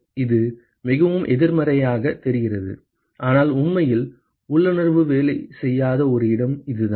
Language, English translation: Tamil, So, it sounds very counterintuitive, but this is where this is one place where actually intuition does not work